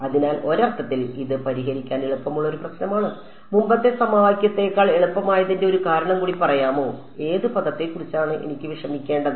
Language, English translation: Malayalam, So, in some sense it is an easier problem to solve can you tell me one more reason why it is easier than the earlier system of equations; which term did I not have to worry about